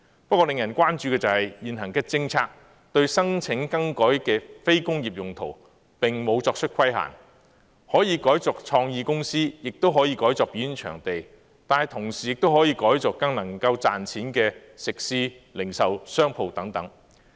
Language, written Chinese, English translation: Cantonese, 不過，令人關注的是，現行政策對申請更改非工業用途並無作出規限，可以改作創意公司，亦可以改作表演場地，但同時亦可以改作更能賺錢的食肆和零售商鋪等。, However it is a cause for concern that the existing policy does not impose restrictions on the application for non - industrial uses . It does not matter if they are converted for use by creative businesses or into performance venues or even more profitable eateries and retail shops etc